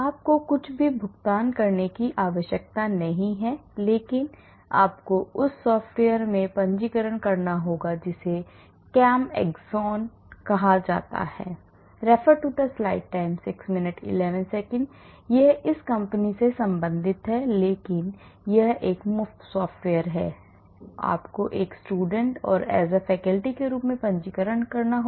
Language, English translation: Hindi, You do not need to pay anything, but you have to register in that software that is called ChemAxon It belongs to this company, but it is a free software, but you have to register as a student or as a faculty